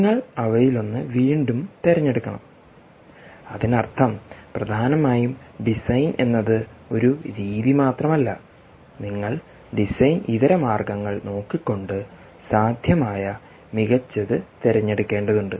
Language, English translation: Malayalam, you have to choose one of them again and then that means essentially design means is just not one aspect, but you have to keep looking at design alternatives and choose the best possible alternative